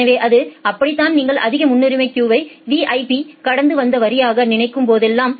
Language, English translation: Tamil, So, it is like that whenever you can just think of the high priority queue as the VIP passed line